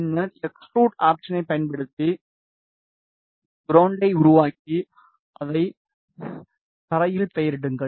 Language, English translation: Tamil, And then use extrude option to make ground and name it as ground